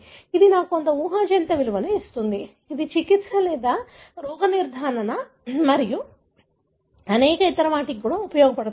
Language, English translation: Telugu, That would give me some predictive value, right, so that that can be used for treatment or even diagnosis and many other